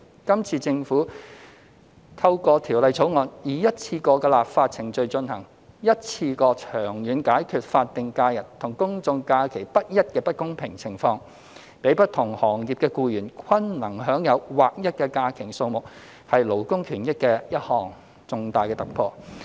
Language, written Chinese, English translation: Cantonese, 今次政府透過《條例草案》以一次過的立法程序進行，一次過長遠解決法定假日和公眾假期不一的不公平情況，讓不同行業的僱員均能享有劃一的假期數目，是勞工權益的一項重大突破。, This time by means of a one - off legislative process the Government resolves the unfair situation of inconsistency between the numbers of SHs and GHs for the long run through the Bill in one go thereby allowing employees in different trades to enjoy a uniform number of holidays . This is a significant breakthrough in labour benefits